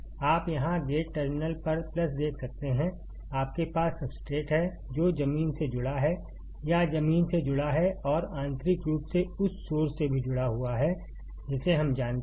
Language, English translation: Hindi, You can see here plus at gate terminal; you have substrate, which is connected to the ground or connected to the ground and also internally connected to the source that we know